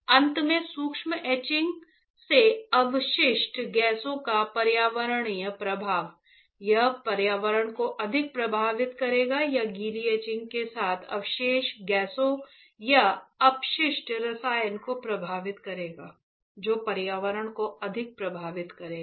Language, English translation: Hindi, Finally, environmental impact the residue gases residual gases from the dry etching right will it affect environment more or the residue gases with or the waste chemical after the wet etching that will affect the environment more